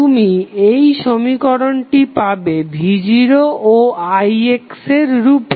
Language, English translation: Bengali, You will get the equation in terms of v naught and i x